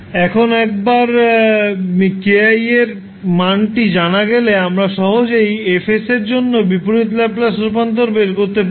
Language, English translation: Bengali, Now, once the value of k i are known, we can easily find out the inverse Laplace transform for F s